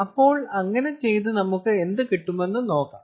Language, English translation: Malayalam, ah, so lets do that and see what happens